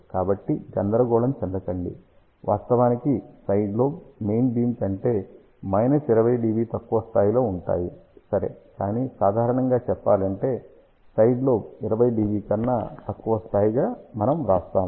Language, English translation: Telugu, So, do not get confused actually speaking side lobe levels are minus 20 dB below the main beam ok, but generally speaking we still write as side lobe level less than 20 dB